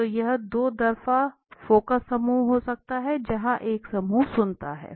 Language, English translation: Hindi, So it can be two way focus group right, where one group listens